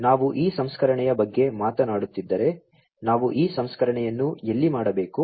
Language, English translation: Kannada, So, if we are talking about this processing, where do we do this processing